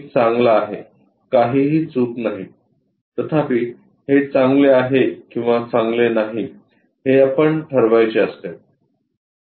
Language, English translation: Marathi, One is good, there is nothing wrong; however, what is good what is not that good we have to decide